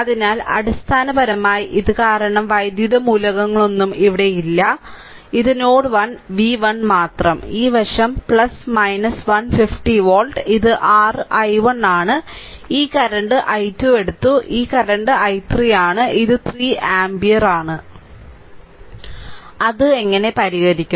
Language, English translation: Malayalam, So, basically this one because no electrical element is here no electrical element is so, basically it say node 1, right only v 1 and this side is ah plus minus 50 volt and this is your ah i 1, this current, we have taken i 2 and this current is i 3 and this is 3 ampere